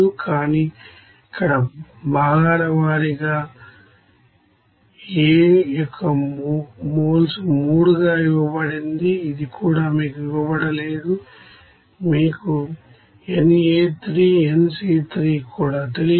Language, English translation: Telugu, But here component wise it is given as moles of A in this 3 it is also not given to you, it is unknown nA3 that is unknown to you, nC3 that is also unknown to you